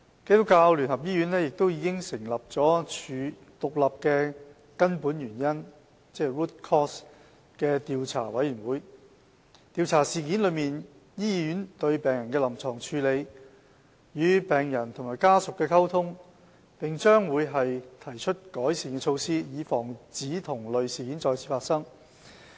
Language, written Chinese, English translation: Cantonese, 基督教聯合醫院已成立獨立的根本原因調查委員會，調查事件中醫院對病人的臨床處理、與病人及家屬的溝通，並將會提出改善措施，以防止同類事件再次發生。, An independent root cause analysis panel has been set up by the United Christian Hospital UCH to investigate the hospitals clinical management of the patient and its communication with the patient and her family as well as to make recommendations on improvement measures to prevent any recurrence